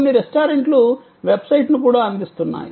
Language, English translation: Telugu, Some restaurants are even providing a website, where you can place the order